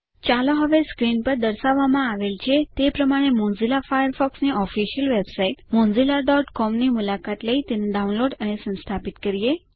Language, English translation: Gujarati, Let us now download and install Mozilla Firefox, by visiting the official website at mozilla.com as shown on the screen